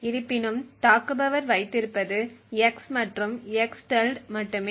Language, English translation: Tamil, However, what the attacker only has is x and the x~